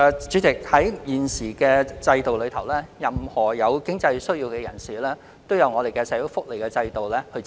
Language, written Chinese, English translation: Cantonese, 主席，在現行制度下，任何人如有經濟需要，均可透過社會福利制度獲得支援。, President the current social welfare system provides relief to people with financial needs